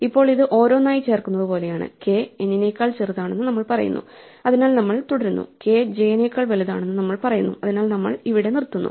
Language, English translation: Malayalam, Now this is a bit like insert we go one by one, we say that k smaller than n so we continue, and we say than k is bigger than j so we stop here